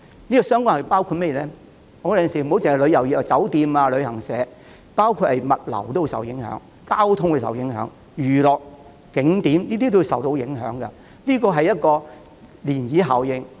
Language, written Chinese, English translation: Cantonese, 有時候，不單旅遊業的酒店、旅行社受影響，包括物流、交通、娛樂、景點等也會受影響，這是一種漣漪效應。, Sometimes not only hotels and travel agencies of the tourism trade will be affected but other trades like logistics transport and entertainment sectors as well as tourist spots will also be affected because of the ripple effect